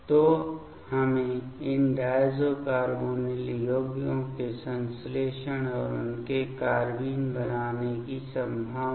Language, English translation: Hindi, So, we need to know the synthesis of these diazo carbonyl compounds and their; possibility to form the carbenes ok